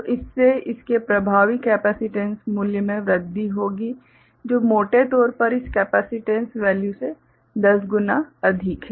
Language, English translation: Hindi, So, that will increase the effective capacitance value of it which is roughly you know 10 times more than this capacitance value